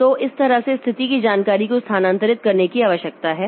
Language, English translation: Hindi, So, that way the status information needs to be transferred